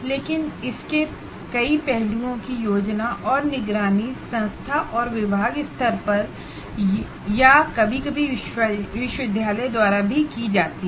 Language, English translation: Hindi, But many aspects of this are planned and monitored at the institution and department level, or sometimes even the university